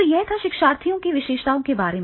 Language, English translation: Hindi, First we will start with the learners characteristics